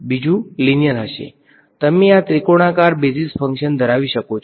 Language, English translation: Gujarati, So, you can have these triangular basis functions